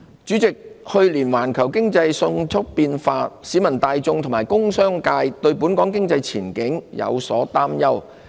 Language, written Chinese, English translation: Cantonese, 主席，環球經濟去年迅速變化，市民大眾和工商界對本港經濟前景有所擔憂。, President the rapid shift in the global economy last year has aroused concerns about Hong Kongs economic outlook among the public and the business community